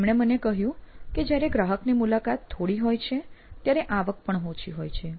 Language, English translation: Gujarati, So he told me that when we have fewer customer visits, the revenue is low